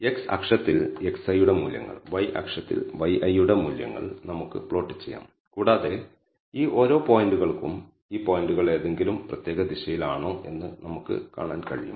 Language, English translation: Malayalam, So, we can plot the values of x i on the x axis y i under y axis and for each of these points and we can see whether these points are oriented in any particular direction